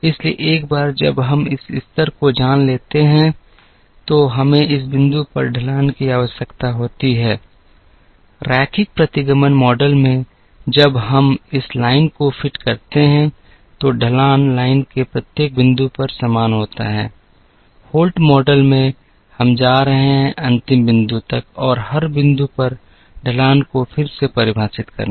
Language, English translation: Hindi, So, once we know this level plus we also need the slope at this point, in the linear regression model, after we fit the line, the slope is the same at every point in the line, in the Holt’s model, we are going to kind of redefine the slope at every point up to and including the last point